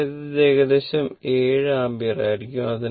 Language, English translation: Malayalam, It is a 7 ampere approximately